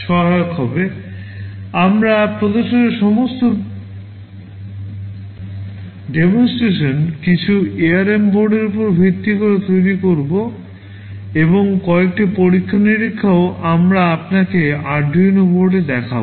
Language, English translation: Bengali, All the demonstrations that we shall be showing would be based on some ARM board, and also a few experiments we shall be showing you on Arduino boards